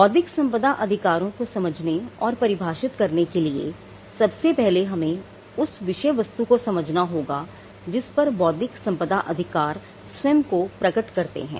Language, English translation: Hindi, Now, one of the things in understanding or in defining intellectual property right, is to first understand the subject matter on which the intellectual property right will manifest itself on